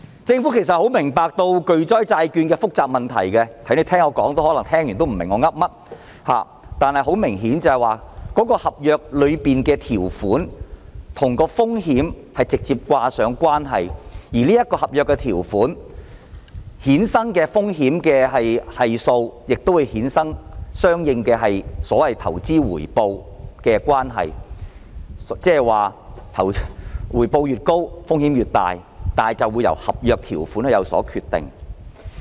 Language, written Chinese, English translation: Cantonese, 政府十分明白巨災債券的複雜問題，可能大家聆聽了這麼久也不明白我在說甚麼，但明顯地，合約條款與風險確實是直接掛上了關係，而合約條款衍生的風險系數亦會衍生相應的所謂投資回報程度，即回報越高，風險越大，而一切皆由合約條款決定。, Perhaps Members do not understand what I am talking about despite my lengthy explanation . But apparently contractual terms have a direct relationship with the risk while the risk co - efficient derived from the contractual terms would generate the so - called corresponding return on investment . That is to say the higher the return the higher the risk and everything is dictated by the contractual terms